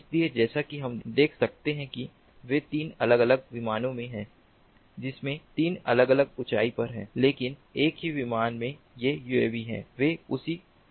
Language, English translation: Hindi, so, as we can see that they are, they are in three different planes with three different altitudes, but these uavs in a single plane, they are, they are in that same plane